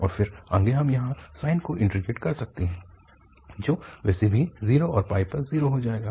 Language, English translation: Hindi, And then, further we can integrate the sine here, which will become anyway 0 at 0 and pi